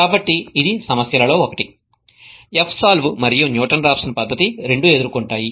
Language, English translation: Telugu, So that is one of the problems that both F solve as well as Newton Raphson method faces